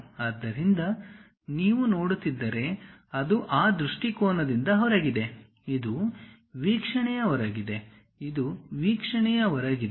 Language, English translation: Kannada, So, if you are looking, it is outside of that view; this one also outside of the view, this is also outside of the view